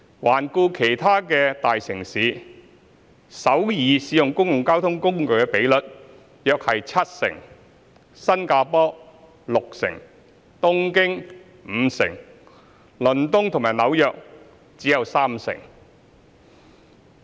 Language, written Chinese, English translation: Cantonese, 環顧其他大城市，首爾使用公共交通工具的比率約七成，新加坡六成，東京五成，倫敦及紐約則只有三成。, For other major cities the public transport usage rate was around 70 % in Seoul 60 % in Singapore 50 % in Tokyo and merely 30 % in London and New York